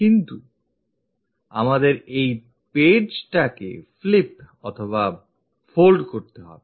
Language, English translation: Bengali, But we have to flip or fold this page